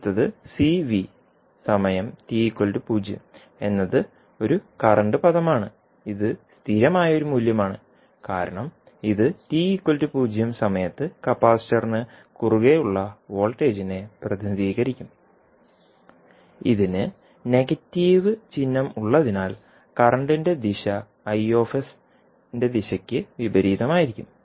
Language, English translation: Malayalam, Next is C into V at time T is equal to 0 this again a current term which is a constant value because this will represent the voltage across capacitor at time T is equals to 0 and since, this having a negative sign the direction of current would be opposite of the direction of the current the Is